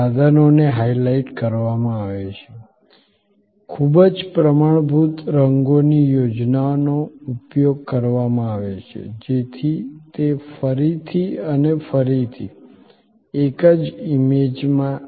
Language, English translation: Gujarati, The equipment is highlighted, a very standard colors scheme is used, so that it invokes again and again and again in the same in image